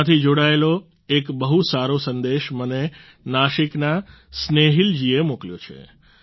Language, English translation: Gujarati, Snehil ji from Nasik too has sent me a very good message connected with this